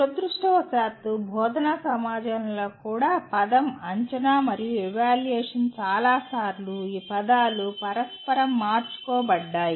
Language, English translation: Telugu, Unfortunately, even in the teaching community, the word assessment and evaluations many times are these words are interchanged